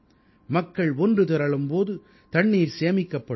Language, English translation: Tamil, When people will join hands, water will be conserved